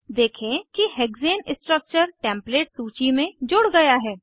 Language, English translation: Hindi, Observe that Hexane structure is added to the Template list